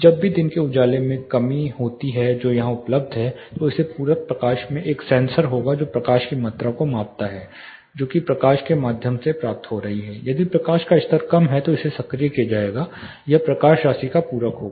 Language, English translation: Hindi, Whenever there is a dearth or reduction in the amount of daylight which is available here this supplementary lighting there will be a sensor which measures the amount of light, which is getting through if the light levels are lesser this will be actuated this light will supplement the amount